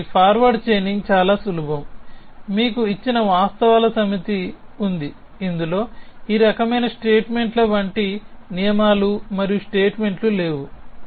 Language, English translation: Telugu, So, forward chaining is simple you have a set of facts given to you which includes no rules and statements like all these kind of statements